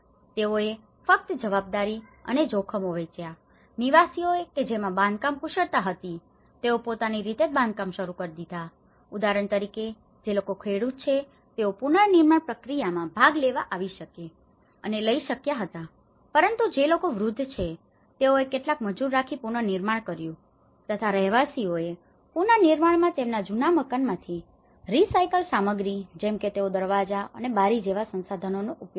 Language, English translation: Gujarati, They just shared responsibility and risks, residents that had construction skills used self help construction, for example, people who are farmers, they could able to come and participate in the reconstruction process but there is the elderly people they are able to hire some labourers, residents optimized the use of resources by using the recycled material like from their old houses they use the doors, windows